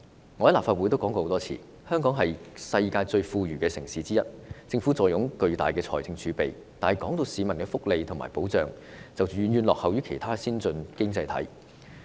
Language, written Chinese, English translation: Cantonese, 我在立法會曾多次表示，香港是世界上其中一個最富裕的城市，政府坐擁龐大的財政儲備，但市民的福利和保障卻遠遠落後於其他先進經濟體。, As I have said many times in the Legislative Council already Hong Kong is one of the most affluent cities in the world and the Government has amassed a huge fiscal reserve but the welfare and protection for the people are lagging far behind other advanced economies